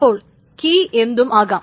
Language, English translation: Malayalam, And the value can be anything